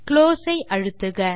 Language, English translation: Tamil, And press close